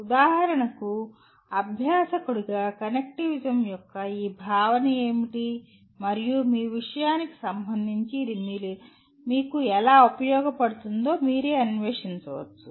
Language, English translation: Telugu, for example as a learner, you yourself can explore what is this concept of connectivism and how it is going to be useful to you with respect to your subject